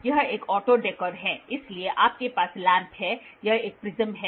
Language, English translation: Hindi, So, this is an auto dekkor, so you have lamp this is a prism